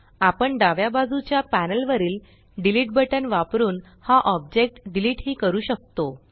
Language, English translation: Marathi, We can also delete this object, using the Delete button on the left hand panel